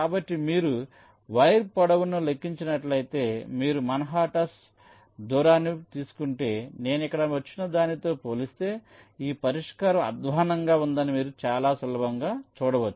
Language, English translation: Telugu, so if you compute the wire length, if you take the manhattan distance, then you can see very easily that this solution is worse as compared to what i get here